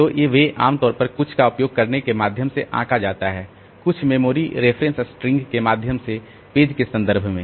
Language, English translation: Hindi, So, they are normally judged by means of using some, by means of using some sort of string of memory references